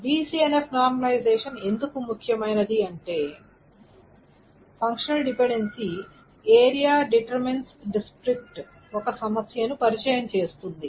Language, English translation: Telugu, So why is BCNF normalization important is that if the area to district is actually introduces a problem